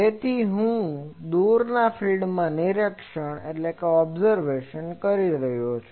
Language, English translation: Gujarati, So, and I am observing at far field